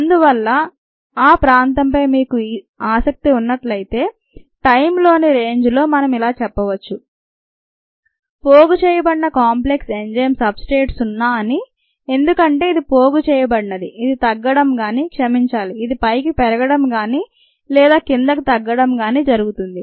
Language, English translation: Telugu, therefore, if you are interested in this region, this range of times, then we could say that the ah accumulation rate of the enzyme substrate complex is zero, because if it is accumulating, it should either go down ah, sorry, it should either go up or go down